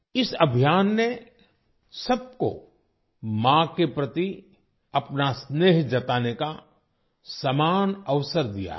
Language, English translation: Hindi, This campaign has provided all of us with an equal opportunity to express affection towards mothers